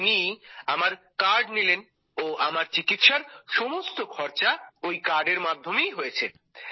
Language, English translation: Bengali, Then he took that card of mine and all my treatment has been done with that card